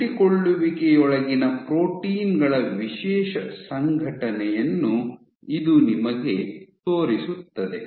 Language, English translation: Kannada, So, this shows you the organization, the special organization of proteins within the adhesions